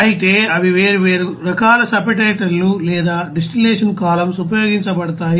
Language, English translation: Telugu, However they are you know different type of separators or distillation columns are used